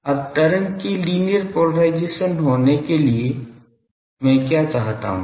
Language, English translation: Hindi, Now, for the wave to be linear polarized what I demand